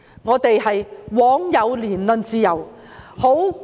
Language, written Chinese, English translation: Cantonese, 我們枉有言論自由。, It is a pity that we have speech freedom